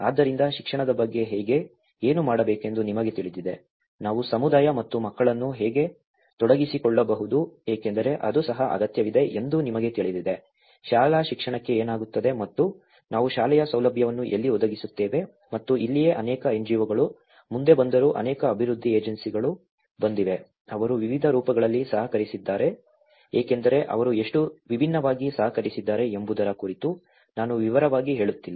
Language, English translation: Kannada, So, how about education, you know what to do, how we can engage the community and the children because you know that is also needed, what happens to the school education and where do we provide the school facilities and this is where many NGOs have came forward, many development agencies have came, they collaborated in different forms as I am not going in detail about how differently they have collaborated